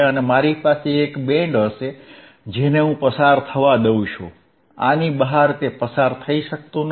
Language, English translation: Gujarati, I have a band which allowing to pass, outside this it cannot pass